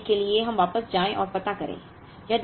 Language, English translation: Hindi, Now, to do that let us go back and find out